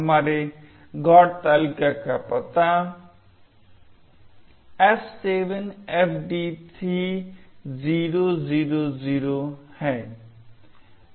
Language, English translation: Hindi, Address of our GOT table is F7FD3000